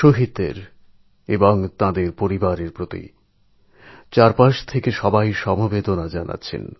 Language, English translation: Bengali, All around, there is a deluge of strong feelings of sympathy for the martyrs & their family members